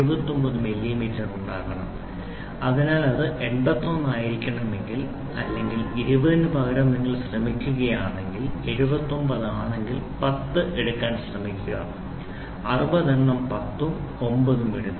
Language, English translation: Malayalam, So, that if it is to be 89 or you try to instead of 20, you try to take a 10 if it is 79 then 60 take 10 and 9